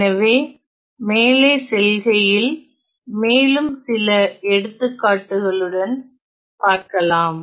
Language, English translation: Tamil, So, moving ahead let us look at few more examples